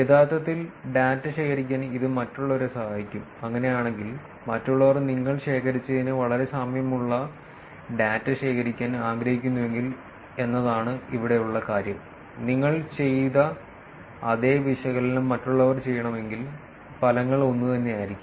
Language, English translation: Malayalam, This will help others to actually collect data, if they were to, the point here is that if others want to collect the data which is very similar to what you collected; and if others want to do the same analysis that you did the results should be the same